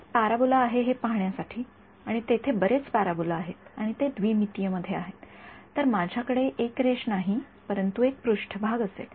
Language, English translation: Marathi, Just to see is there one parabola and there are several parabolas what is there right and its in 2 D so, I will not have a line, but I will have a surface